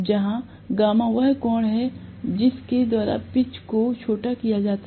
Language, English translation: Hindi, Where gamma is the angle by which the pitch is shortened